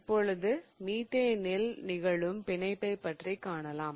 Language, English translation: Tamil, So, now let us look at the bonding in methane